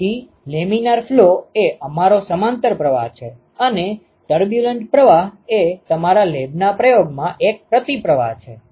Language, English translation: Gujarati, So, laminar flow is our parallel flow and the turbulent flow is a counter flow in your lab experiment ok